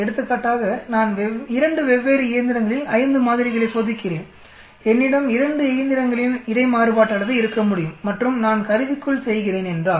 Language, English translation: Tamil, For example, I am testing 5 samples on 2 different machines I could have between the 2 machine variance and if am doing within the instrument